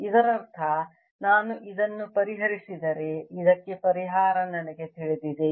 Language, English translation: Kannada, if i solve this, i know the solution for this